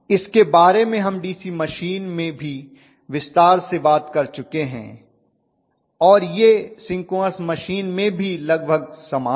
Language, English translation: Hindi, Which we actually said in, talked in greater detail in a DC machine even in synchronous machine it is almost similar